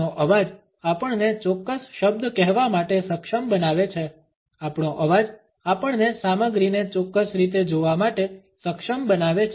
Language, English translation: Gujarati, Our voice enables us to say a particular word, our voice enables us to see the content in a particular manner